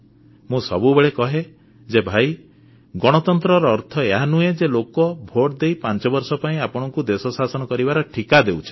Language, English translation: Odia, I always stress that Democracy doesn't merely mean that people vote for you and give you the contract to run this country for five years